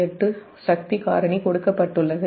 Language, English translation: Tamil, and in to point eight, the power factor is given